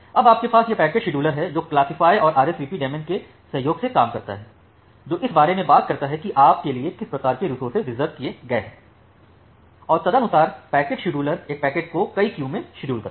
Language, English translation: Hindi, Now you have that packet scheduler that works in cooperation with the classifier and the RSVP daemon, that talks about that what type of resources have been reserved for you, and accordingly the package scheduler schedule a packets into multiple queues